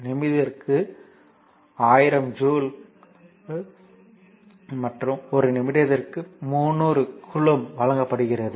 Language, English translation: Tamil, So, 1000 joule per minute and q is given that 300 coulomb per minute